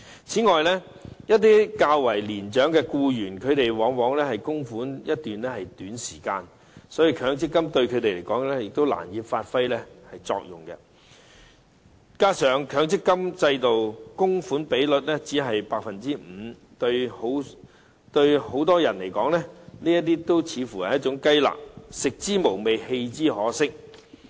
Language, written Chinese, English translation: Cantonese, 此外，一些較年長的僱員往往只供款一段較短時期，所以強積金對他們來說，難以發揮作用，加上強積金的強制供款比率只是 5%， 對很多人來說，這似乎是雞肋，食之無味，棄之可惜。, Moreover very often the older employees will only make contributions for a short period . For this reason as far as they are concerned MPF can hardly serve its functions . In addition the mandatory MPF contribution rate is only 5 %